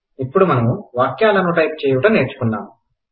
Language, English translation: Telugu, We have now learnt to type sentences